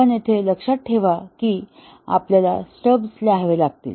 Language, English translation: Marathi, But just remember that here we will have to write stubs